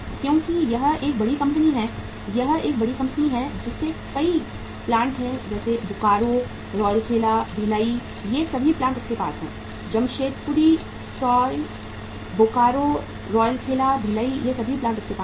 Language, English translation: Hindi, Because it is a big company, it is a large company having many plants, Bokaro, Rourkela, Bhilai, all these plants they have Jamshedpur uh sorry Bokaro, Rourkela, Bhilai, all these plants they had